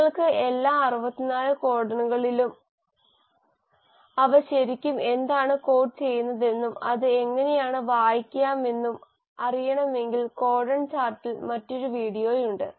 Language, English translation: Malayalam, And if you really want to know all the 64 codons and what they really code for and how to read the there is another video on codon chart you can have a look at that too